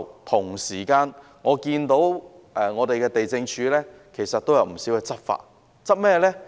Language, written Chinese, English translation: Cantonese, 同時，我也看到地政總署其實也有不少執法行動，針對一些寮屋。, Meanwhile I have seen that the Lands Department has actually carried out quite a lot of enforcement actions targeting squatter huts